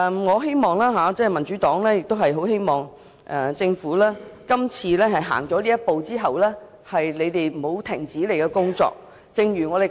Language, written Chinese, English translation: Cantonese, 所以，我與民主黨很希望政府今次走出這一步後不會停止工作。, Therefore the Democratic Party and I very much hope that the Government will not stop working after taking this step now